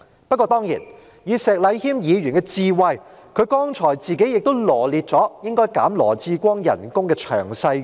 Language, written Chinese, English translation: Cantonese, 不過，當然，以石禮謙議員的智慧，他剛才自己亦羅列了應該削減羅致光局長薪酬的詳細原因。, However Mr Abraham SHEK certainly with his wisdom has also enumerated the reasons in detail for reducing the pay of Secretary Dr LAW Chi - kwong